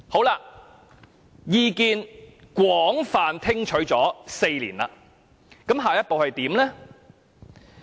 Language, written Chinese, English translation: Cantonese, 那麼，在廣泛聽取意見4年後，下一步又怎樣呢？, Now after listening to different views from various sectors for four years what is the Government going to do next?